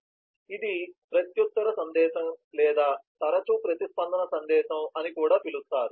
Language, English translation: Telugu, so this is a reply message or is often called a response message also